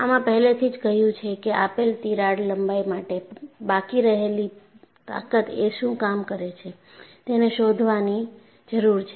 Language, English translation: Gujarati, And we have already said, that we need to find out, for a given crack length, what is the residual strength